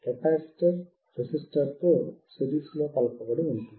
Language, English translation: Telugu, Capacitor is in series with resistor